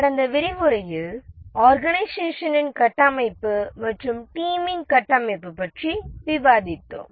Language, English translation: Tamil, In the last lecture we are discussing about the organization structure and team structure